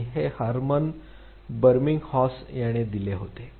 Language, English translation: Marathi, And this was given by Hermann Ebbinghaus